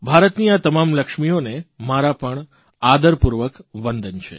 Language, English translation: Gujarati, I respectfully salute all the Lakshmis of India